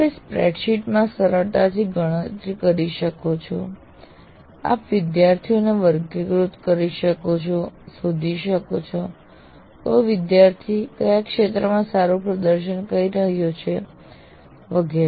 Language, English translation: Gujarati, If you put in a spreadsheet and you can easily compute all aspects of all kinds of things, you can classify students, you can find out which student is performing in what area well and so on